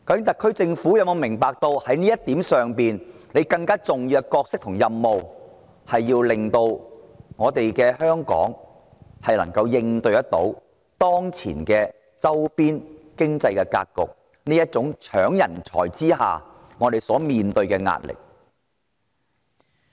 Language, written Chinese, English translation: Cantonese, 特區政府是否明白，其更重要的角色和任務是令香港能夠應對當前的周邊經濟格局，克服人才爭奪戰所帶來的壓力？, Does the Government appreciate that its more important role and mission lie in ensuring Hong Kongs ability to cope with the economic landscape of our neighbouring regions and overcome the pressure arising from the battle for talent?